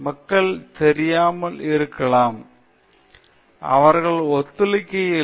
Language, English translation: Tamil, People may not be knowing; they do not have the awareness